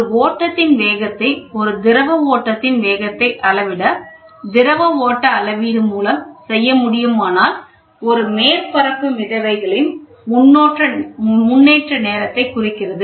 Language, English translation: Tamil, Fluid flow measurement measuring the speed of a flow can be done by timing the progress of a surface floats